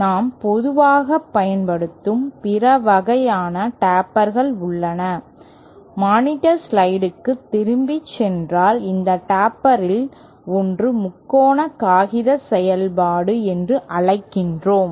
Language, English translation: Tamil, There are other kinds of tapers that we see that we commonly use, one of these tapers if we go back to the monitor slides is what we call triangular paper function